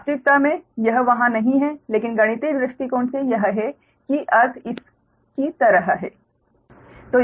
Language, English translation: Hindi, right, reality it is not there, but from mathematical point of view it is like right that the meaning is like this